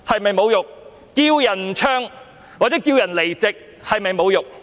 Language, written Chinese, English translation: Cantonese, 叫人不要唱或叫人離席，是否侮辱？, Is it an insult to call for others not to sing the national anthem or leave their seats?